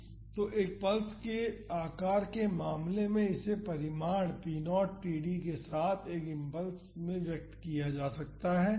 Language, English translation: Hindi, So, in the case of a pulse shape it can be expressed in an impulse with the magnitude p naught td